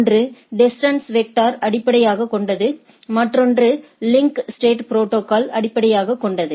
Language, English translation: Tamil, So, these are 2 popular protocol; one is based on distance vector, another is based on a link state protocol right